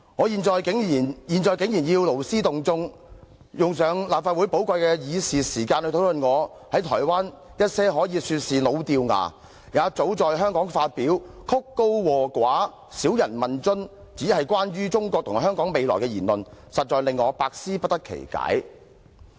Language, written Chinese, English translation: Cantonese, 現在竟然要勞師動眾，用立法會寶貴的議事時間來討論我在台灣一些可以說是老掉牙，也早在香港發表、曲高和寡、少人問津，只是關乎中國和香港未來的言論，實在令我百思不得其解。, Now a great deal of trouble has been taken and the precious time of the Legislative Council for dealing with its business unduly expended to discuss the comments made by me in Taiwan pertaining to the future of China and Hong Kong which can be described as hackneyed having been publicized in Hong Kong long ago and too detached from reality for anyones liking thus attracting hardly any interest . This really makes me completely perplexed